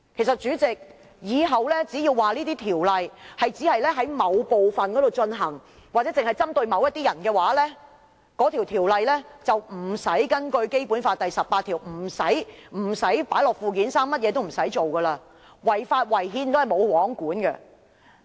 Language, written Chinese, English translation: Cantonese, 主席，是否日後只要說某條例只在某範圍實施或只針對某些人，便不用根據《基本法》第十八條，將全國性法律列入附件三，甚麼也不用做，即使違法、違憲，也是"無皇管"。, President in the future can the requirement of Article 18 of the Basic Law that national laws shall be listed in Annex III be dispensed with simply by saying that an Ordinance will apply only in a certain place or to certain people? . If so nothing can be done because even if the Government acts unlawfully or unconstitutionally it will go unregulated